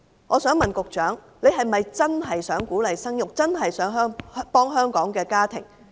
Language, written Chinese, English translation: Cantonese, 我想問局長，是否真正想鼓勵生育，真正想幫助香港的家庭？, I would like to ask the Secretary does he really want to encourage childbearing and help families in Hong Kong?